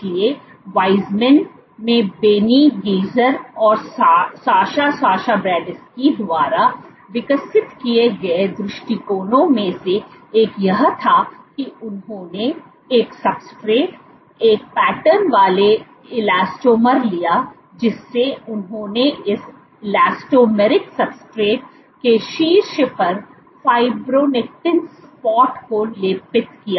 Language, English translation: Hindi, So, one of the approaches which was developed by Benny Geiger and Sascha Sasha Bershadsky at Weizmann was what they did was they took a substrate a patterned elastomer where, they coated fibronectin spots on top of this elastomeric subsets